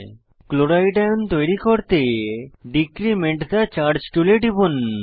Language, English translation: Bengali, To form Chloride ion, click on Decrement the charge tool